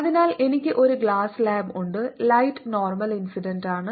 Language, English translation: Malayalam, so i have a glass slab right glass slab, and light is incident normally